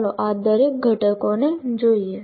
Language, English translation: Gujarati, Let us look at each one of these components